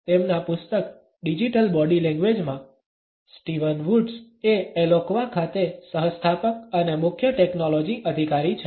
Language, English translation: Gujarati, In his book Digital Body Language, Steven Woods is the co founder and Chief Technology officer at Eloqua